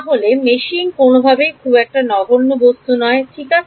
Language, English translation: Bengali, So, meshing this is not a trivial thing by any means ok